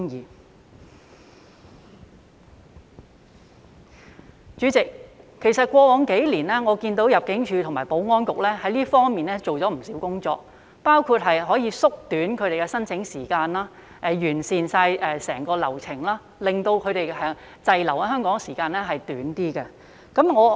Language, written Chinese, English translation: Cantonese, 代理主席，其實過往數年我看到入境處和保安局在這方面做了不少工作，包括縮短他們的申請時間及完善整個流程，令他們滯留在香港的時間縮短。, Deputy President actually I have seen much effort by ImmD and the Security Bureau over the past several years in this area including shortening their application time and improving the entire process in order to shorten their stay in Hong Kong